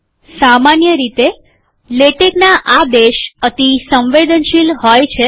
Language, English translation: Gujarati, In general, latex commands are case sensitive